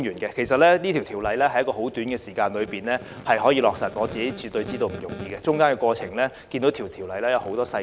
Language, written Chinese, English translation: Cantonese, 其實《條例草案》在極短的時間內完成審議，絕對不容易，《條例草案》涉及多項細節。, In fact given the numerous details under the Bill it is definitely a tall order to complete the scrutiny of the Bill within such a short period of time